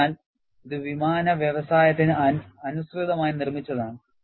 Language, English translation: Malayalam, So, it is tailor made to aircraft industry